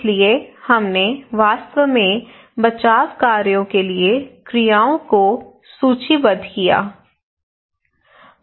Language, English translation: Hindi, So we actually listed down the actions for rescue operations